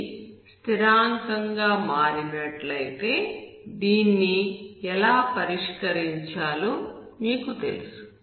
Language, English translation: Telugu, If it becomes constant then you know how to solve this